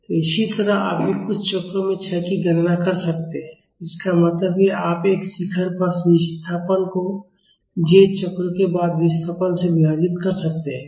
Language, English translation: Hindi, So, similarly you can also we can also calculate the decay in a few number of cycles; that means, you can divide the displacement at one peak by displacement after j cycles